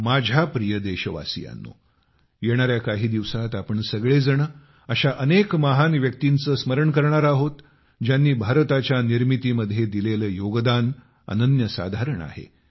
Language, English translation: Marathi, My dear countrymen, in the coming days, we countrymen will remember many great personalities who have made an indelible contribution in the making of India